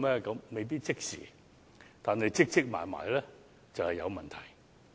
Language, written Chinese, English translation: Cantonese, 這未必即時發生，但日積月累便會有問題。, While this may not happen right away a problem will arise over time